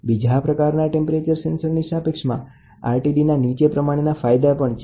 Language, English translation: Gujarati, Compared to the other type of temperature sensors, RTD has the following advantage